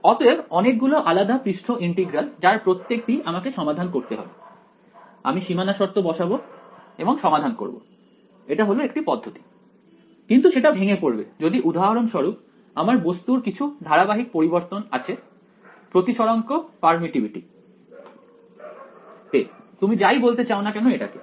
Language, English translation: Bengali, So, many different surface integrals each of those I will have to solve put boundary conditions and solve it that is one approach, but that will break down if for example, my my material has some continuous variation in refractive in refractive index permittivity whatever you want to call it right